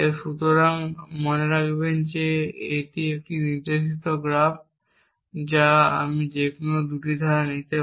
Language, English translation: Bengali, So, remember this is a directed graph I can take any 2 clauses